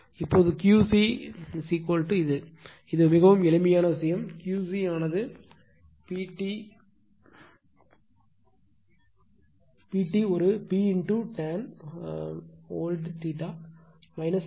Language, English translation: Tamil, Now, Q c is equal to this one , this one is a very simple thing , that Q c will be P tan theta old a P into tan theta old minus tan theta new